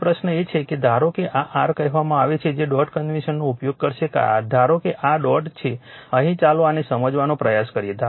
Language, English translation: Gujarati, Now, question is suppose suppose this is your what you call will use dot convention, suppose this is this is dot is here right let us try to understand this